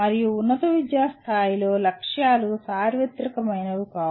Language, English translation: Telugu, And the at higher education level the aims are not that universal